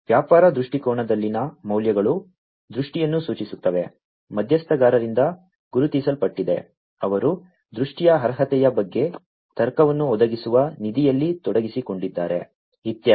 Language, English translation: Kannada, The values in the business viewpoint indicate the vision, recognized by the stakeholders, who are involved in funding providing the logic regarding the merit of vision, and so on